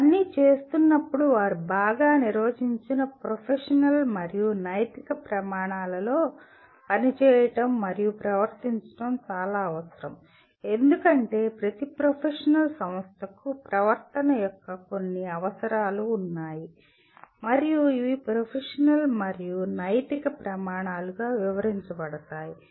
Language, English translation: Telugu, But while doing all these they are required to operate and behave within a within well defined professional and ethical standards because every professional organization has certain requirements of behavior and these are enunciated as professional and ethical standards